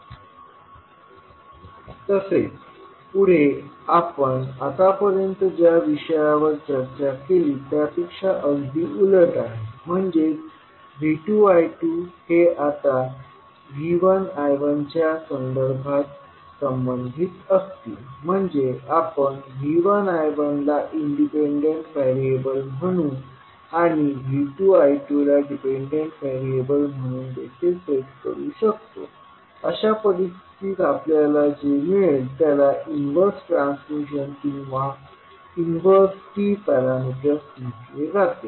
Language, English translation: Marathi, Now, next is the opposite of what we discussed till now means the relationship will now be V 2 and I 2 will be related with respect to V 1 and I 1 that means we can also set V 1 I 1 as independent variables and V 2 I 2 as dependent variables, in that case the relationship which we get is called as a inverse transmission or inverse T parameters